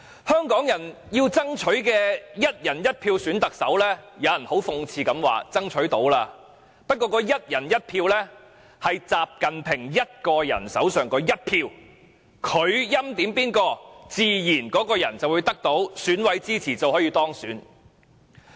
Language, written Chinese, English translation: Cantonese, 香港人要爭取"一人一票"選特首，但有人卻很諷刺地指我們已經成功爭取，但這"一人一票"是習近平一個人手上那一票，他欽點的人自然會得到選舉委員會委員的支持並當選。, While Hong Kong people are fighting for the election of the Chief Executive by one person one vote some people have sarcastically pointed out that we have indeed achieved one person one vote in the sense that XI Jinping is the only person holding that one single vote . In that case whoever he appoints will naturally secure the support of members of the Election Committee EC and be elected